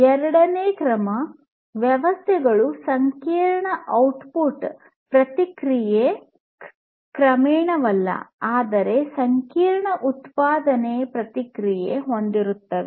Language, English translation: Kannada, Second order systems will have complex output response not gradually, but a complex output response